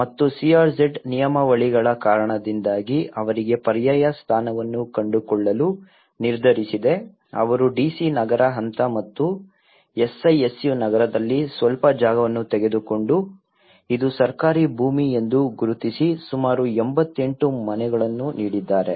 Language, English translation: Kannada, And they decided to find alternative position for them because of the CRZ regulations so they have took some land in the DC Nagar phase and SISU Nagar and they have identified this is a government land and have given about 88 houses